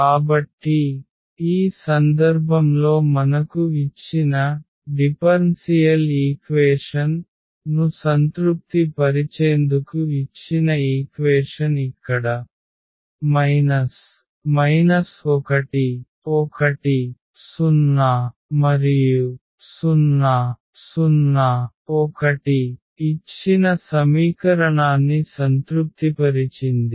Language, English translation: Telugu, That we are getting this is either 1 is satisfying the given differential equation the given system of the question, so here minus 1 1 0 satisfies the given equation, also 0 0 1 is satisfying the given equation